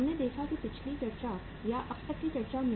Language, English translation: Hindi, So we saw that in the previous discussion or the discussion till now we had